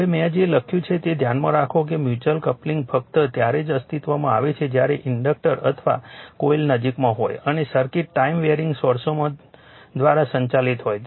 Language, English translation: Gujarati, Now, now something I have written keep in mind that mutual coupling only exists when the inductors or coils are in close proximity and the circuits are driven by time varying sources